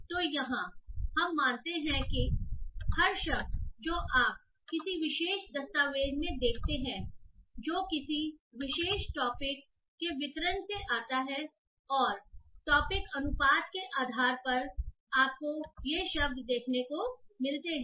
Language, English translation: Hindi, So here we assume that every word that you see in a particular document that comes from the distribution of a particular topic and based on the document wise topic proportion you get to see those words